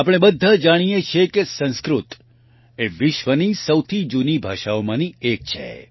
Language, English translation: Gujarati, We all know that Sanskrit is one of the oldest languages in the world